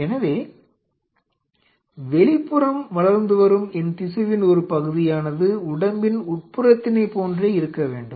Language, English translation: Tamil, So, part of my tissue which is going outside should exactly behave the same way